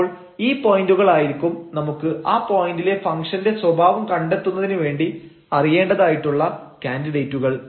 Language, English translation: Malayalam, So, these points will be the candidates, which we need to investigate for the behavior the local behavior of the function at that point